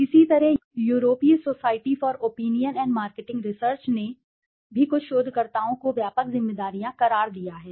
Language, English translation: Hindi, Similarly, the European Society for Opinion and Marketing Research also has termed some researchers broad responsibilities